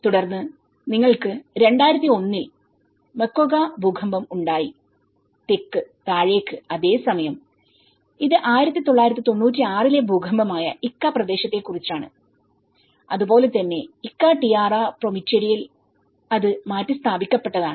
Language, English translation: Malayalam, Then, you have the Moquegua earthquake in 2001, down south and whereas, this is about the Ica area, which is 1996 earthquake and as well as in Ica Tierra Prometida, which is the relocation